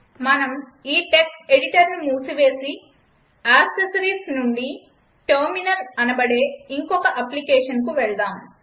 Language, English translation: Telugu, Lets close this text editor and lets see some application from accessories that is Terminal